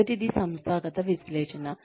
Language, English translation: Telugu, The first is organizational analysis